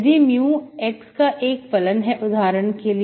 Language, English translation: Hindi, If mu is a function of x for example